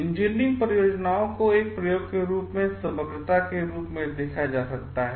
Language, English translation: Hindi, Engineering projects as it can be viewed as a total, as totality as an experiment